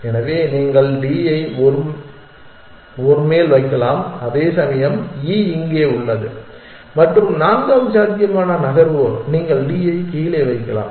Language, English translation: Tamil, So, you can put D on top of a, whereas E remains here and the fourth possible move is that you can put D down